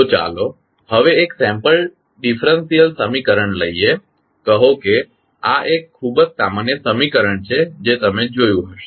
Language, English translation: Gujarati, So, now let us take one sample differential equation say this is very common equation which you might have seen